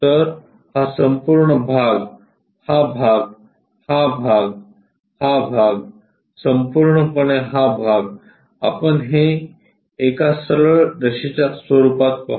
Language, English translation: Marathi, So, this entire part, this part, this one, this one, this one entirely we will see it like a straight line